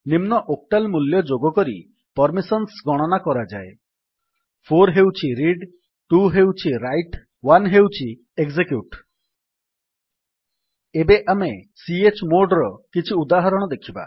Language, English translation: Odia, Permissions are calculated by adding the following octal values: 4 that is Read 2 that is Write 1 that is Execute Now we will look at some examples of chmod